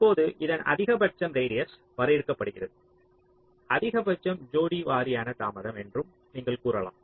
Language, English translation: Tamil, now the maximum of this that is defined as the radius maximum, you can say pair wise delay